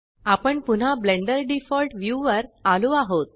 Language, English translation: Marathi, We are back to Blenders default view